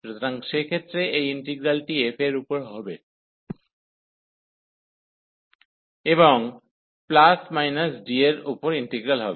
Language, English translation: Bengali, So, in that case this integral will be over this f and plus or minus the integral over D